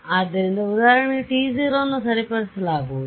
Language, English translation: Kannada, So, example so, t w is going to be fixed